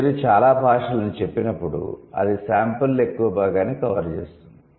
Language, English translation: Telugu, And when you say most languages, that would cover majority of the sample, right